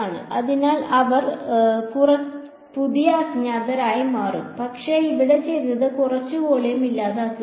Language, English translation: Malayalam, So, they will become the new unknowns, but what have done is punctured out some volume over here